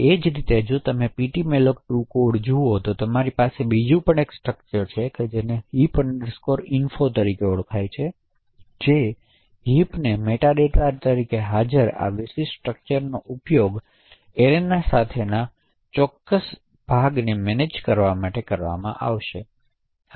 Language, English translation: Gujarati, Similarly, if you look at the ptmalloc2 code you also have another structure known as heap info, so this particular structure present as the meta data would be used to manage specific heaps with an arena